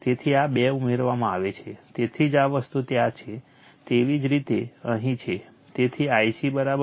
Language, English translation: Gujarati, So, this 2 are added, so that is why your this thing is there right, similarly here right